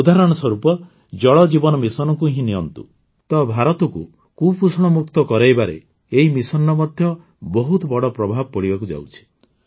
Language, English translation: Odia, For example, take the Jal Jeevan Mission…this mission is also going to have a huge impact in making India malnutrition free